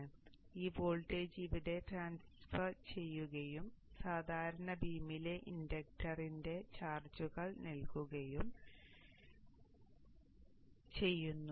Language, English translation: Malayalam, So this voltage gets transferred here and charges up the inductor in the normal way